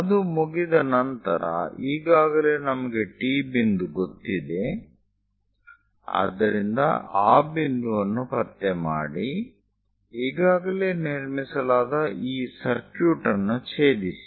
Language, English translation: Kannada, Once it is done, already T point we know; so locate that point, intersect this already constructed circuit